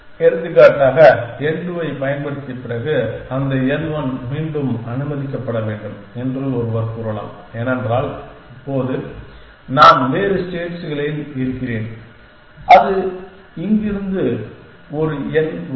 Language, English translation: Tamil, For example, one could say that after having using n to should that n 1 again allowed because now I am in a different states may be a n one will help from there is a